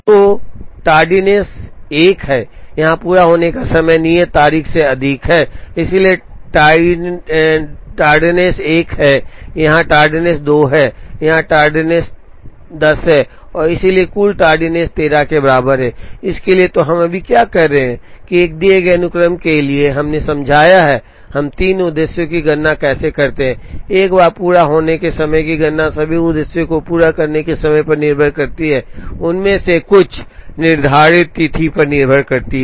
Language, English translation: Hindi, So, the tardiness is one here the completion time is more than the due date, so tardiness is one here the tardiness is 2 and here the tardiness is 10, so total tardiness is equal to 13, for this So, what we have right now done is for a given sequence, we have explained, how we calculate the 3 objectives, once the completion times are calculated all the objectives now depend on the completion times, some of them depend on the due date